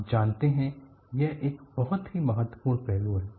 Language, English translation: Hindi, You know, this is a very important aspect to see